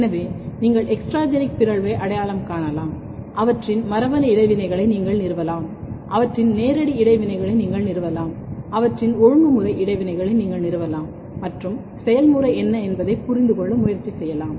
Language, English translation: Tamil, So, you can identify extragenic mutation, you can establish their genetic interaction, you can establish their physical interaction, you can establish their regulatory interaction and try to understand how what is the mode of action